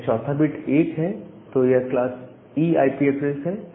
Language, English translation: Hindi, If the fourth bit is 1, then it is class E IP address